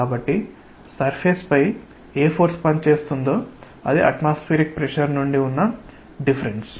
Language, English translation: Telugu, So, whatever force is acting on the surface is because of the difference from the atmospheric pressure